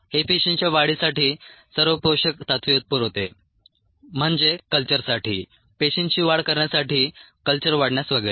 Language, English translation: Marathi, it provides the all the nutrients for the cells to grow, that is, for the culture to cells to multiply, the culture to grow, and so on